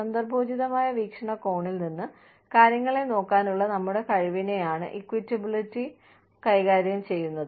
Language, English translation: Malayalam, Equitability deals with, our ability to look at things, from a contextual point view